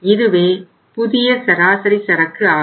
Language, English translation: Tamil, This is going to be the new average inventory